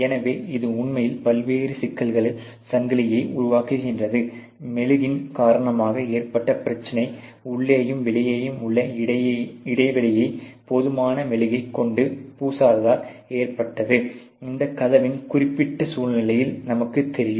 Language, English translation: Tamil, So, therefore, it is actually creating a chain of different problems, just because of the simple problem of the wax insufficiently covering the gap between the inside, and the outside through the, you know of the door in this particular situation